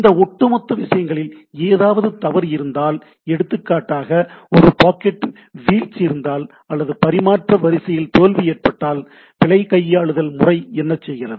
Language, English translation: Tamil, And if there is a fault in that overall things, if there is a packet drop or there is a failure in the transmission line; so what is the error handling